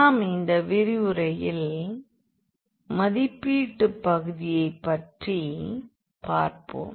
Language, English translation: Tamil, So, basically the evaluation part we will look into in this lecture